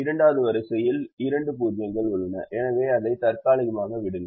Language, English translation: Tamil, the second row has two zeros, so leave it temporarily